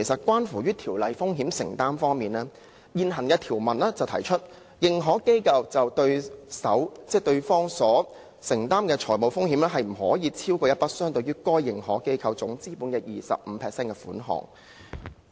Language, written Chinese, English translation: Cantonese, 關於風險承擔方面，現行的條文規定，認可機構就對手方所承擔的財務風險，不得超越一筆相等於該認可機構總資本 25% 的款額。, As regards financial exposures the existing provision stipulates that the financial exposure of an AI to a counterparty must not exceed an amount equivalent to 25 % of the AIs total capital